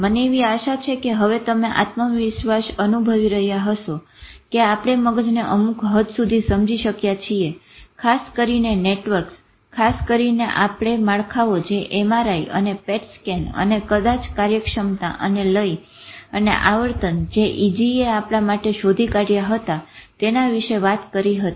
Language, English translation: Gujarati, I hope by now you would be feeling confident that we have been able to understand brain to some extent, especially with the networks which we have talked about, especially with the structures which MRI and PETS scan and maybe the functionality and rhythm and oscillations with EEG has discovered for us